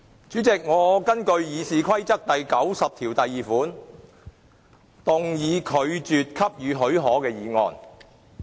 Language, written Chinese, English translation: Cantonese, 主席，我根據《議事規則》第902條，動議拒絕給予許可的議案。, President I move in accordance with RoP 902 the motion that the leave be refused